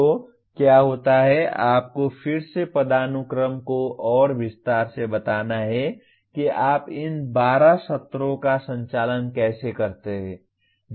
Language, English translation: Hindi, So what happens is you have to again hierarchically further detail how do you conduct these 12 sessions